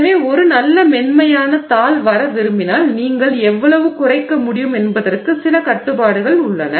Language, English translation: Tamil, So, if you want a nice smooth sheet coming out, there is some restrictions on how much you can reduce